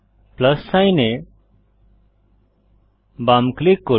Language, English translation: Bengali, Left click the plus sign